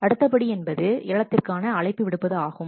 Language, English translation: Tamil, Next step is invitation to tender